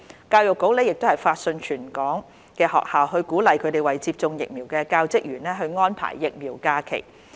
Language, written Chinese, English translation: Cantonese, 教育局亦發信全港學校鼓勵他們為接種疫苗的教職員安排疫苗假期。, The Education Bureau has also issued letters to encourage schools in Hong Kong to arrange vaccination leave for teachers and staff for receiving vaccination